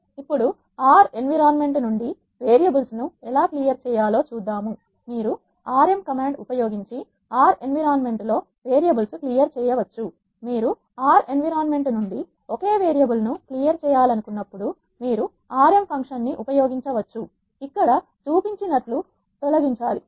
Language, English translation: Telugu, Now, let us see how to clear the variables from the R environment you can clear the variables on the R environment using rm command, when you want to clear a single variable from the R environment you can use the rm function has shown here rm followed by the variable you want to remove